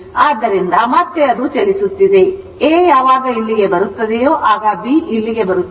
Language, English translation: Kannada, So, again it is moving, again will come when A will come to this and B will come to this